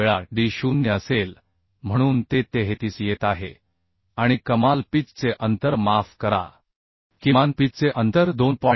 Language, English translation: Marathi, 5 times d0 so it is coming 33 and maximum pitch distance sorry minimum pitch distance will be 2